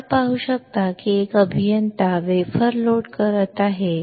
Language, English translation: Marathi, You can see that an engineer is loading the wafer